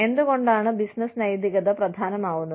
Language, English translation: Malayalam, Why is business ethics, important